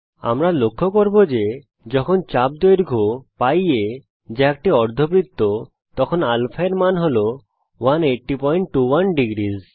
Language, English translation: Bengali, We notice that when the arc length is [π a] that is a semi circle, the value of α is 180.21 degrees